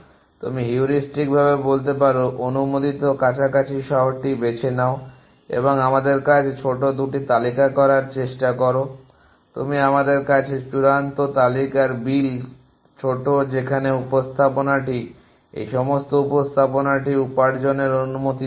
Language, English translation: Bengali, You can say heuristically choose the closer city which is the allowed and try to bill shorter 2 to us in the you are the ultimate go list bill shorter to us where this presentation does not allow any such at all this presentation the earn allow that